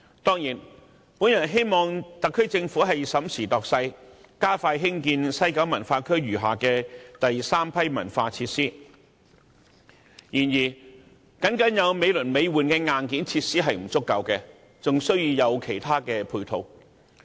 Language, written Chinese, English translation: Cantonese, 當然，我希望特區政府審時度勢，加快興建西九文化區餘下的第三批文化設施，然而，僅有美輪美奐的硬件設施是不足夠的，還需要其他配套。, Certainly I hope that the SAR Government will size up the situation and expeditiously construct the remaining Batch 3 cultural facilities of the WKCD . Nevertheless it is not enough to have marvellous hardware facilities only . There need to be something else to match up with them